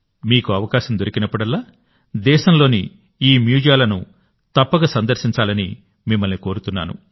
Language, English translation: Telugu, I urge you that whenever you get a chance, you must visit these museums in our country